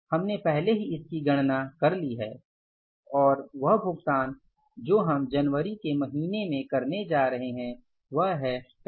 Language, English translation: Hindi, And this payment we are going to make in the month of January, that is for 35,550